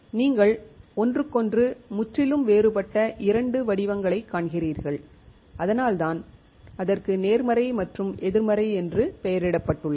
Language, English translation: Tamil, You see absolutely two different patterns of each other and that is why it is named positive and negative